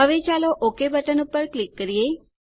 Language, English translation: Gujarati, Now let us click on the Ok button